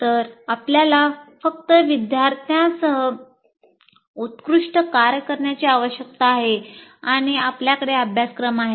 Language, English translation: Marathi, So you have to do the best job with the students and with the curriculum that you have